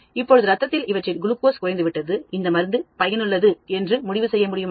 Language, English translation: Tamil, Now the glucose level is lower, can we conclude the drug is very effective